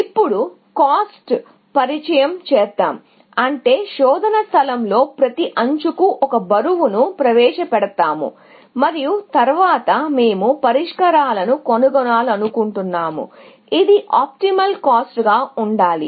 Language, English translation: Telugu, introduce cost, which means we will introduce a weight for every edge in the search space and then, we want to find solutions, which are optimal cost